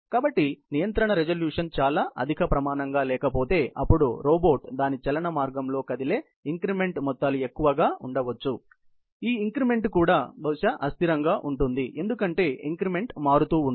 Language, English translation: Telugu, So, if supposing the control resolution is sort of not very high standard, then it may mean that the amounts of the increment that the robot moves in its motion path way, may be higher and that also, this increment can probably be unstable, because the increment may keep on changing or vary